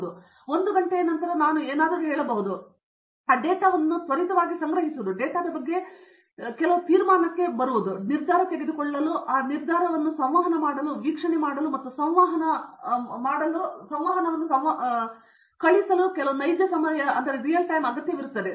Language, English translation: Kannada, If I say 1 hour later, it doesn’t make sense so there is some real time requirement for me to quickly accumulate that data, get to some conclusion about data, make a decision and communicate that decision, make an observation and communicate that observation out